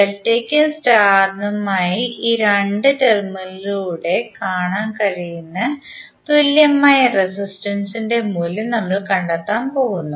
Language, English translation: Malayalam, We are going to find the value of the equivalent resistances seeing through these 2 terminals for delta as well as star